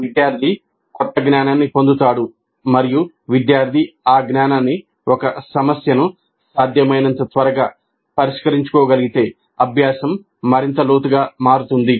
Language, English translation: Telugu, The student acquires the new knowledge and if the student is able to apply that knowledge to solve a problem as quickly as possible, the learning becomes deeper